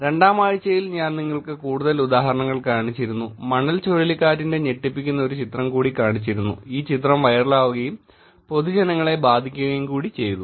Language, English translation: Malayalam, More examples that I showed you in week 2, showing that there is a shock in the hurricane sandy where this picture got viral and it had effects on the public also